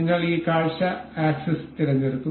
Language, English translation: Malayalam, We will select this view axis